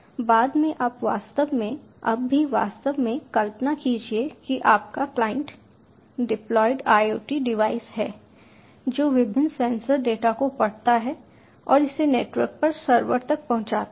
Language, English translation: Hindi, later on you can actually now itself you can actually imagine your client to be deployed, iot devices which read various sensorial data and transmit it over the network to the server